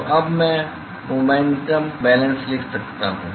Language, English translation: Hindi, So, now, so now I can write momentum balance